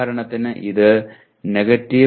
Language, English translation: Malayalam, For example because it is 2